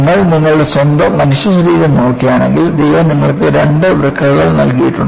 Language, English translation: Malayalam, And I used to mention, if you look at your own human body, God has given you with two kidneys